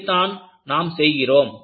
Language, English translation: Tamil, This is what, you want to do